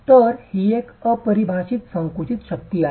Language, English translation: Marathi, So it is an unconfined compressive strength